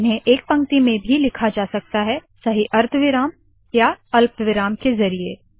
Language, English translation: Hindi, They can also be written in a single line with proper semicolons and commas